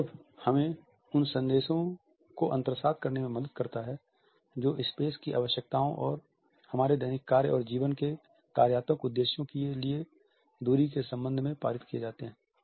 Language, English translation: Hindi, Context helps us in internalizing the messages which are passed on regarding the requirements of a space and distances for functional purposes in our day to day and work life